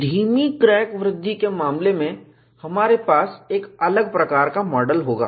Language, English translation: Hindi, In the case of retarded crack growth, we will have a different type of model